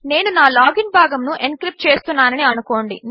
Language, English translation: Telugu, Consider I am encrypting for my login part..